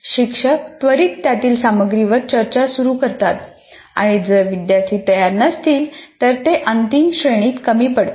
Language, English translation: Marathi, You straight away start discussing the contents of that and if the students are not prepared they lose out in the final grade